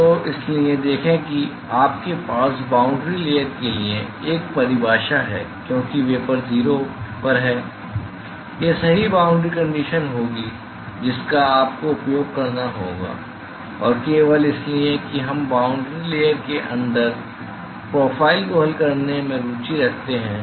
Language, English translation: Hindi, So, that is why see you have a definition for the boundary layer right because the vapor is at 0, this will be the correct boundary condition that you have to use and simply because we are interested in solving the profile inside the boundary layer